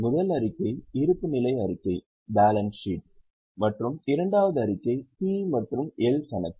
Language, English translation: Tamil, The first statement was balance sheet, the second statement was P&L account